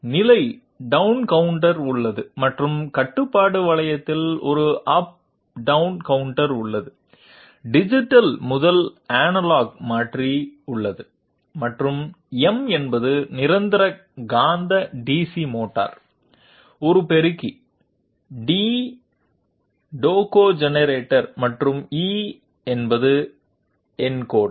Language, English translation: Tamil, There is position down counter and there is an up down counter also in the control loop, there is a digital to analog converter and M is the permanent magnet DC motor, A the amplifier, T the tachogenerator and E the encoder